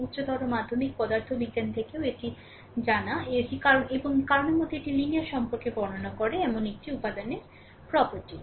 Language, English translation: Bengali, This you this you know even from your higher secondary physics this you know that is a property of an element describing a linear relationship between cause and effect right